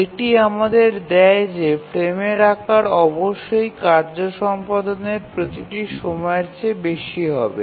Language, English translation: Bengali, And that gives us that the frame size must be greater than each of the task execution times